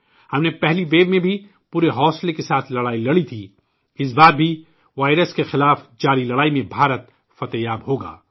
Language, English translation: Urdu, In the first wave, we fought courageously; this time too India will be victorious in the ongoing fight against the virus